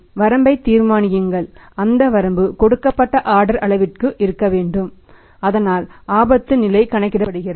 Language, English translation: Tamil, Decide the limit and that limit will be for a given order size so the risk level is calculated